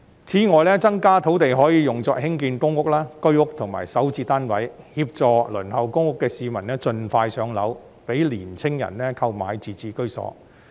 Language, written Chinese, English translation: Cantonese, 此外，增加土地供應可用作興建公屋、居屋及港人首次置業單位，協助輪候公屋的市民盡快"上樓"，讓年青人購買自置居所。, Moreover the increased land supply can be used for the construction of public housing Home Ownership Scheme HOS flats and flats under the Starter Homes for Hong Kong Residents SH programme to help people waitlisted for public housing to attain home ownership as soon as possible and enable young people to purchase their own homes